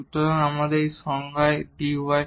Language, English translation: Bengali, So, this is dy in our definition